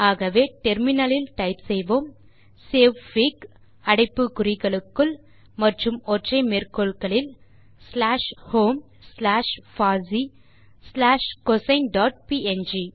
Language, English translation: Tamil, So for that we can type on the terminal savefig within brackets in single quotes slash home slash user slash cosine dot png